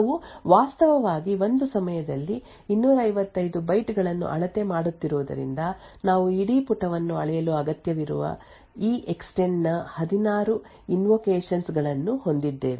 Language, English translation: Kannada, Since we are actually measuring 256 bytes at a time so therefore, we have 16 invocations of EEXTEND needed to measure the whole page